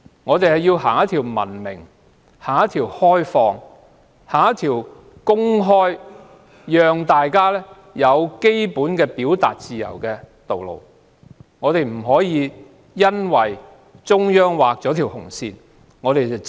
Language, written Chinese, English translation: Cantonese, 我們應要文明、開放及公開地讓大家有基本的表達自由，不應只會緊緊跟隨中央劃下的紅線。, We should allow all people to have the basic freedom of expression in a civilized liberal and open manner instead of toeing closely the red line drawn by the Central Authorities